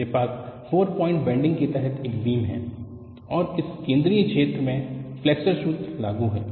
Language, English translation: Hindi, I have a beam under 4 point bending, and in this central zone, your flexure formula is applicable